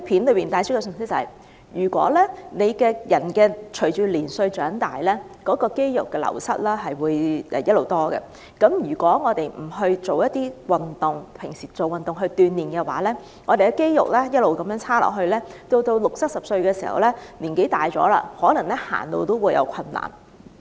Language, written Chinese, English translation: Cantonese, 它希望帶出的信息是，隨着年歲增長，人體肌肉會漸漸流失，如果我們日常不勤做運動鍛鍊，肌肉狀況便會逐漸變差，到了60歲或70歲，年紀漸長時，可能連走路也有困難。, The message it tries to convey is that advancing age brings with it the loss of muscle mass and if we do not try to slow down this process through regular exercise we will experience difficulties in movement as we lose our muscle mass and may not even be able to walk in our sixties or seventies